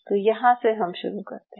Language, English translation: Hindi, So let's start off it